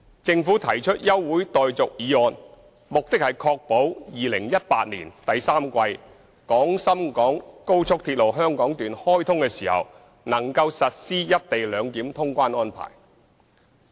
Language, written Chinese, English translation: Cantonese, 政府提出休會待續議案，目的是確保2018年第三季廣深港高速鐵路香港段開通時能夠實施"一地兩檢"通關安排。, The Government moved an adjournment motion to ensure that the co - location arrangement can be implemented upon commissioning of the Hong Kong Section of the Guangzhou - Shenzhen - Hong Kong Express Rail Link XRL in the third quarter of 2018